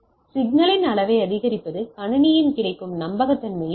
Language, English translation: Tamil, Increasing the level of the signal may reduce the availability reliability of the system